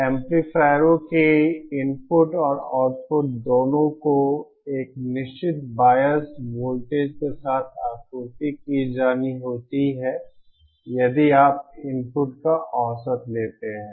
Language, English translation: Hindi, Both the input and output of amplifiers have to be supplied with a certain biased voltage bias voltage means if you take average of the inputs